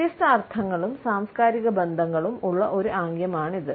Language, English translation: Malayalam, It is also a gesture, which has got different connotations and cultural associations